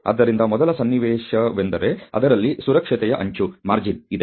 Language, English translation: Kannada, So, the first situation is one in which there is a margin of safety